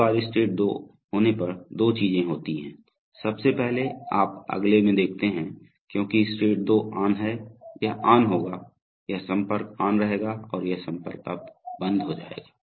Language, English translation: Hindi, Now once state 2 is on two things happen, firstly you see in the next because state 2 is on, this will be on, this contact will be on and this contact will now be off